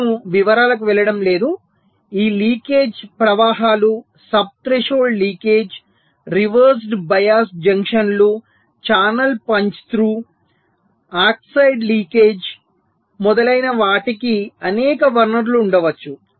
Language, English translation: Telugu, there can be several sources of these leakage currents: sub threshold leakage, reversed bias, junctions, channel punch through oxide leakage, etcetera